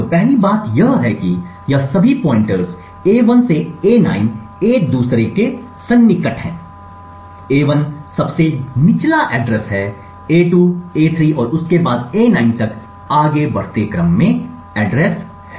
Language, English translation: Hindi, So, the first thing to notice is that all of these pointers a1 to a9 are contiguous with a1 having the lowest address followed by a2, a3 and so on till a9